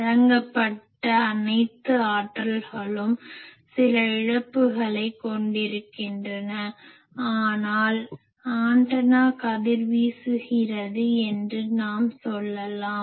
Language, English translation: Tamil, All the energy that is given provided there is some loss, but other energy is there that time we say that antenna is resonating